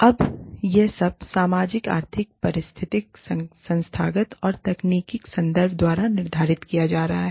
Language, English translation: Hindi, Now, all of this is being determined, by the socio economic ecological institutional and technological context